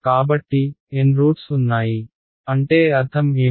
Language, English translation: Telugu, So, there are N roots, by roots what do I mean